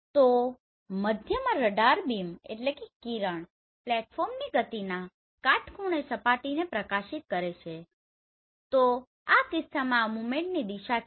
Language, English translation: Gujarati, So in between the radar beam illuminates the surface at a right angle to the motion of the platform so this is the movement direction in this case right